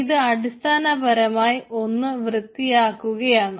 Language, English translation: Malayalam, yeah, so it is basically clearing of the thing